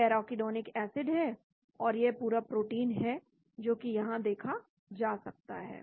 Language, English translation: Hindi, this is the arachidonic acid, this is the entire protein that can be viewed